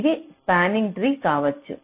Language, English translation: Telugu, this form a spanning tree